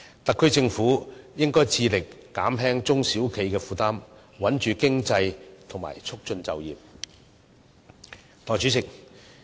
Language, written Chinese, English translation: Cantonese, 特區政府應該致力減輕中小企的負擔，穩住經濟及促進就業。, The SAR Government should strive to ease the burden on SMEs stabilize the economy and promote employment